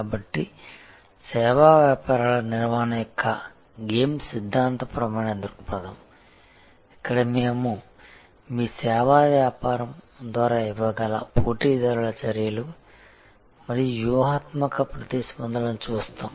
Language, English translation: Telugu, So, the game theoretic perspective of managing service businesses, where we look at competitors actions and strategic responses that can be given by your service business